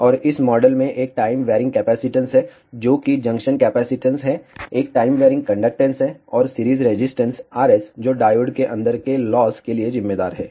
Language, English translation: Hindi, And this model contains a time varying capacitance, which is the junction capacitance, a time varying conductance, and series resistance R s which accounts for the losses inside the diode